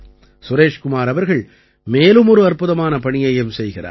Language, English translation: Tamil, Suresh Kumar ji also does another wonderful job